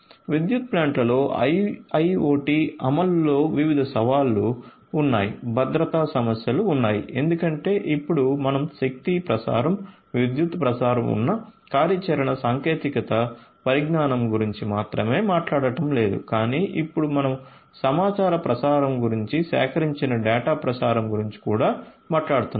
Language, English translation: Telugu, So, there are different challenges of implementation of IIoT in a power plant, there are security issues because now we are not just talking about the operational technology that has been existing the transmission of energy, the transmission of electricity, but now we are also talking about transmission of information, transmission of data that is collected